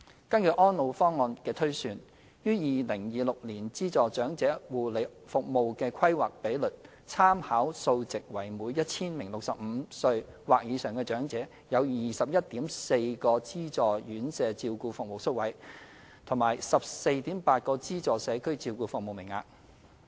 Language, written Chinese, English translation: Cantonese, 根據《安老方案》的推算，於2026年資助長期護理服務的規劃比率參考數值為每 1,000 名65歲或以上的長者有 21.4 個資助院舍照顧服務宿位和 14.8 個資助社區照顧服務名額。, According to the projections in ESPP the indicative planning ratios for subsidized long - term care services in 2026 are 21.4 subsidized residential care places and 14.8 subsidized community care places per 1 000 elderly persons aged 65 or above